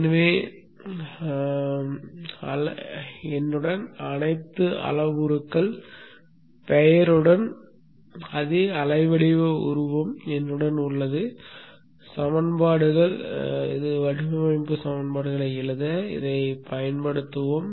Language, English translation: Tamil, So I have with me the same waveform figure with all the parameters named here with me and we shall use this for writing the equations design equations